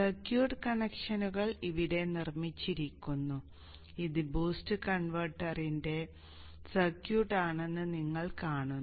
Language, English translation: Malayalam, The circuit connections are made here and you see this is the circuit of the boost converter